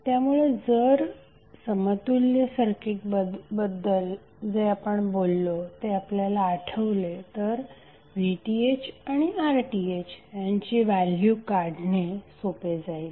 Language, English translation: Marathi, So if you recollect what we discussed in case of equaling circuit, you can easily figure out that how you will calculate VTh and RTh